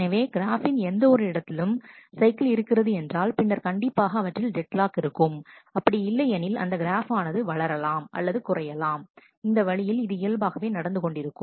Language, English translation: Tamil, So, if at any instant the graph has a cycle then there is a deadlock; otherwise the graph will grow and shrink grow and shrink it will keep on happening that way